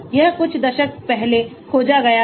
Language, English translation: Hindi, This was discovered few decades back